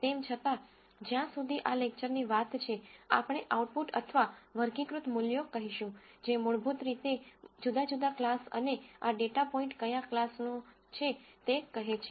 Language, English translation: Gujarati, Nonetheless as far as this lecture is concerned, we are going to say the outputs or categorical values, which basically says different classes and what class does this data point belong to